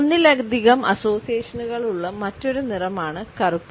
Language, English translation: Malayalam, Black is another color which has multiple associations